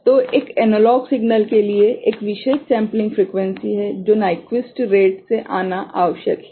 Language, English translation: Hindi, So, for an analog signal, there is a particular sampling frequency that is required from coming from the Nyquist rate